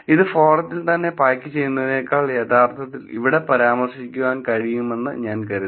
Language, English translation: Malayalam, I thought I will actually mention it here rather than actually packing it in the forum itself